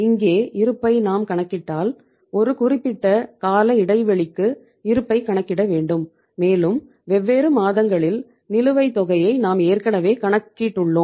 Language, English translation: Tamil, If we calculate the balance here so that uh balance over a period of time is to be worked out and we have already worked out the balance over the different months